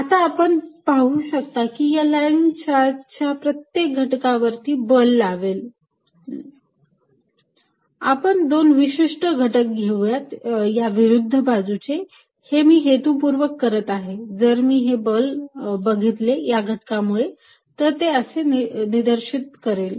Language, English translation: Marathi, Now, you see each element of this line charge is going to apply a force on this, let us take two particular elements on the opposite sides and I am doing it for a purpose, if I look at the force due to this element, it is going to be pointing this way